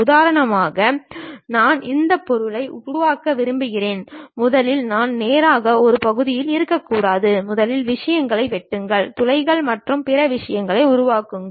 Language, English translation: Tamil, For example, I want to construct this object, I may not be in a portion of a straight away first of all cut the things, make holes and other thing